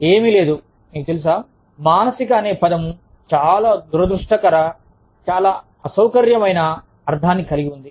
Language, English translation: Telugu, There is nothing, you know, the word, mental, has a very unfortunate, very uncomfortable, connotation to it